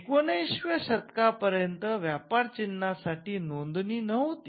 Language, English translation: Marathi, So, till the 19th century there was no registration for trademarks